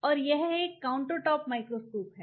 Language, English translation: Hindi, And this is a microscope which will be or compound microscope